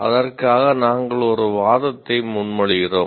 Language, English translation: Tamil, We propose an argument for that